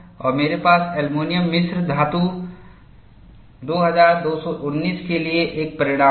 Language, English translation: Hindi, And people have got this, and I have a result for aluminum alloy 2219